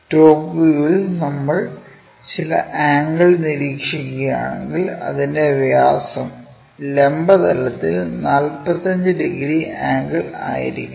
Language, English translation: Malayalam, In top view, if we are observing some angle; that means, this diameter must be making a 45 degrees angle with the vertical plane